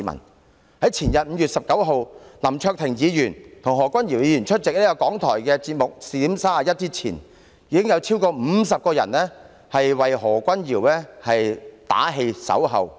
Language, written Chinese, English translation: Cantonese, 到了前天，在林卓廷議員和何君堯議員出席香港電台節目"視點 31" 之前，已有超過50人到場為何君堯議員打氣、守候。, On the day before yesterday before Mr LAM Cheuk - ting and Dr Junius HO went to attend the programme Within and Out Highlight of the Radio Television Hong Kong more than 50 people had arrived at the scene to cheer and wait for Dr Junius HO